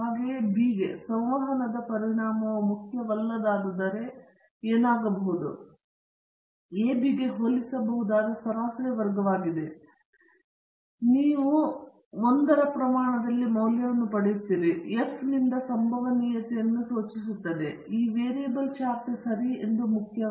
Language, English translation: Kannada, Similarly for b, if the interaction effect is not important then what might happen is the mean square for ab would be comparable to that of the error, and you will get a value in the order of magnitude of 1 and that would indicate from the F probability chart that this variable is not important okay